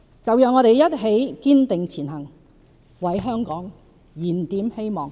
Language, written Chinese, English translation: Cantonese, 就讓我們一起堅定前行，為香港燃點希望！, Let us strive ahead to rekindle hope for Hong Kong!